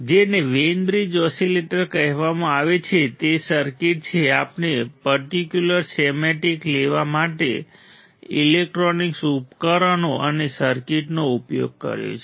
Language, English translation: Gujarati, What is called Wein bridge oscillator these are circuit we have used electronic devices and circuits for taking the particular schematic